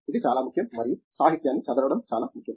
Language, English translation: Telugu, It is very important and reading up literature is very important